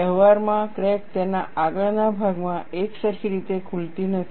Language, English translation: Gujarati, In practice, the crack does not open uniformly along its front